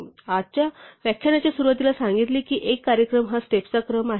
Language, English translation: Marathi, So, we said at the beginning of today's lecture a program is a sequence of steps